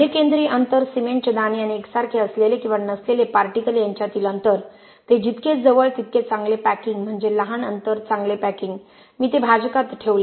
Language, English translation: Marathi, Mean centroidal distance, the distance between a cement grain and a like or dislike particle, the closer they are the better packing which means smaller the distance better packing I put that in the denominator